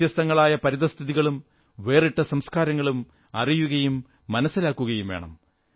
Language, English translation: Malayalam, They need to know and adapt to various situations and different cultures